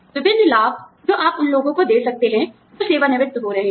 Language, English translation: Hindi, A various benefits, that you can give to people, who are retiring